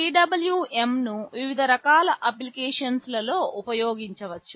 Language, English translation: Telugu, PWM can be used in a variety of applications